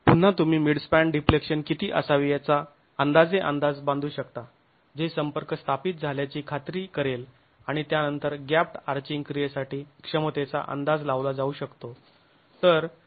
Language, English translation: Marathi, Again, you can make an approximate estimate of how much should the midspan deflection be such that you get midspan deflection that you can permit which will ensure that contact is established and then the capacity can be estimated accounting for the gap touching action